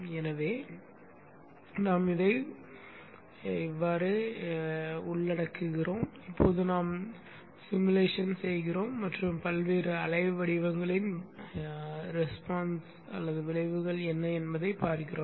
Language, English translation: Tamil, So you include this and now you simulate and see what are the effects on the various waveforms